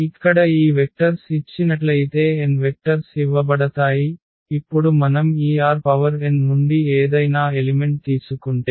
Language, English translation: Telugu, So, given these vectors here n vectors are given and now any element if we take from this R n so, any this is R n